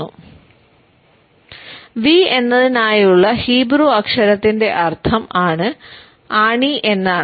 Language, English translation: Malayalam, The meaning for the Hebrew letter for V is nail